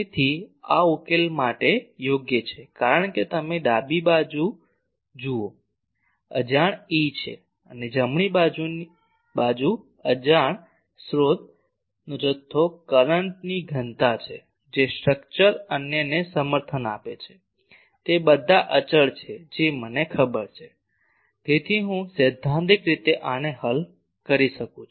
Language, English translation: Gujarati, So, this is amenable for solution because you see left hand side is unknown E and right hand side is the unknown source quantity the current density that the structure is supporting others are all constant I know; so, I can theoretically solve this